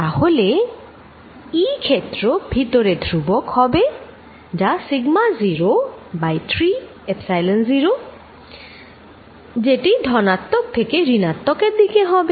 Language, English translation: Bengali, Then, E field is constant inside and as is given by sigma naught over 3 Epsilon 0 pointing from positive to negative side